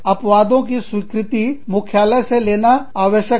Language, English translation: Hindi, Exceptions need to be approved, by headquarters